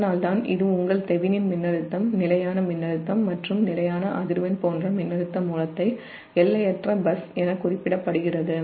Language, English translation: Tamil, that's why this, your, your, the thevenin's voltage, such a voltage, source of constant voltage and constant frequency, is referred to as an infinite bus